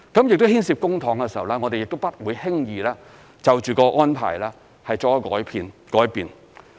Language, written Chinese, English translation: Cantonese, 而因為牽涉公帑，我們不會輕易就着安排作出改變。, As public money is involved we will not change the arrangement casually